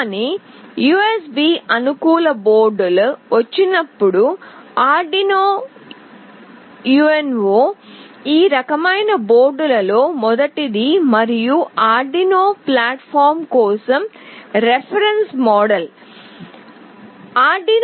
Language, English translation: Telugu, But, when USB compatible boards came, Arduino UNO is the first of those kinds of board and the reference model for the Arduino platform